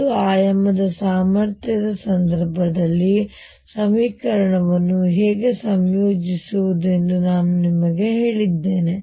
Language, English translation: Kannada, I have told you how to integrate the equation in the case of one dimensional potential